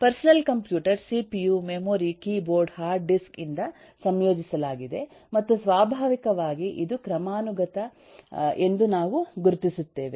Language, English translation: Kannada, the personal computer is composed of cpu, memory, keyboard, hard disk, and naturally we identify that this is the hierarchy